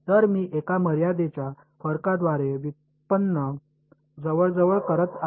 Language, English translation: Marathi, So, I am approximating a derivative by a finite difference right